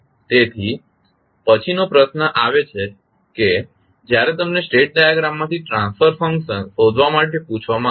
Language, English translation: Gujarati, Now, the next question comes when you are asked to find the transfer function from the state diagram